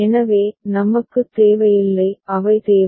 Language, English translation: Tamil, So, we do not need, to the need them